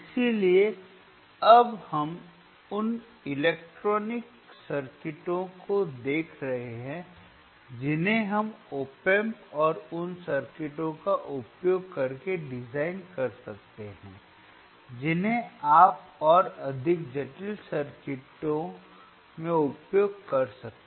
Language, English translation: Hindi, So, now what we are looking at the electronic circuits that we can design using op amp and those circuits you can further use it in more complex circuits